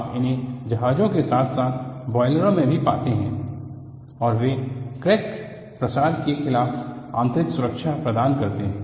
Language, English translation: Hindi, You also find them in ships as well as boilers, and they provide in built safety against crack propagation